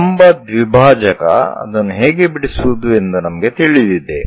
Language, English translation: Kannada, We know perpendicular bisector how to draw that